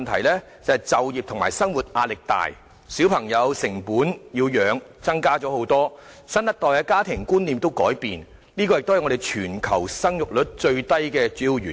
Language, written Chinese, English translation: Cantonese, 便是就業和生活壓力大，養育小朋友的成本增高，新一代家庭觀念改變，這些都是本港生育率屬全球最低的主要原因。, They include heavy pressure of employment and livelihood increased costs of raising children and a change in the concept of family among the new generation which are the major factors contributing to Hong Kong being the place with the lowest fertility rate in the world